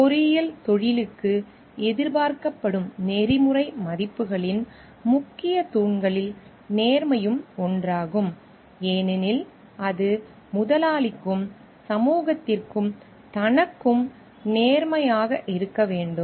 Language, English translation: Tamil, So, honesty is one of the important pillars of the like ethical values expected for the engineering profession so because it demands being honest to employer, to the society at large and to oneself also